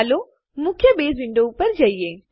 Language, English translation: Gujarati, Let us go to the main Base window